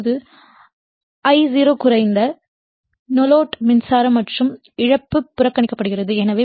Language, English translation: Tamil, Now, I0 is equally small no load current and loss is neglected right